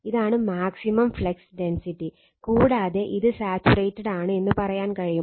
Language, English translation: Malayalam, And this is your maximum flux density, and you can say this has been you are what you call it is saturated